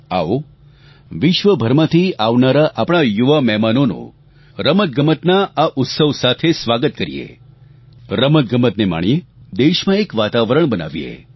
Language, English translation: Gujarati, Come, let's welcome the young visitors from all across the world with the festival of Sports, let's enjoy the sport, and create a conducive sporting atmosphere in the country